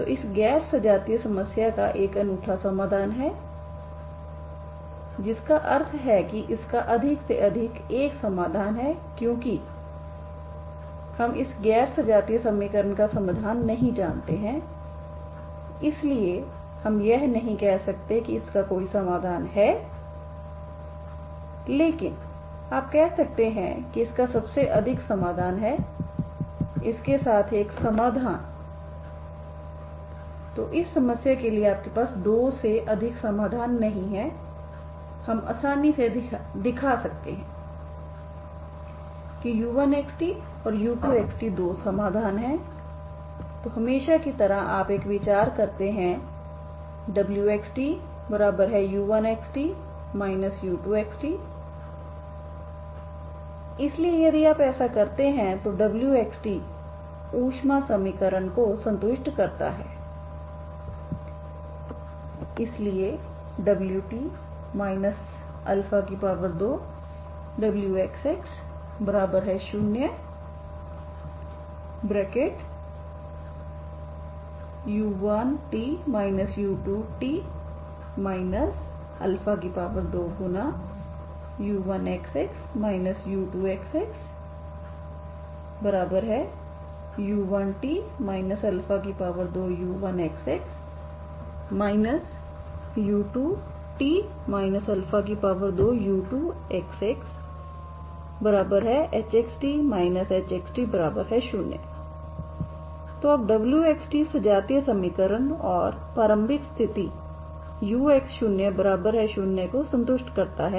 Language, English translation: Hindi, So this is the non homogeneous problem and uniqueness this has a unique solution has a unique solution has at most one solution, okay at most one solution because we have not find the solution for this non homogeneous equation so we cannot say whether it has a solution but you can say that it has at most one solution with this so not more than two solutions you have for this problem, okay that we can easily show just by taking u1 is one solution let u1 of x, t and u2 of x, t be two solutions then as usual you consider a w of x, t as u1 of x, t minus u2 of x, t so if you do this satisfies this satisfies the heat equation so wt minus alpha square wxx